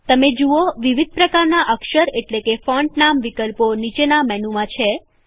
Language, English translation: Gujarati, You see a wide variety of font name options in the drop down menu